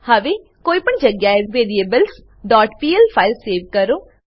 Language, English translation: Gujarati, Now save this file as variables.pl at any location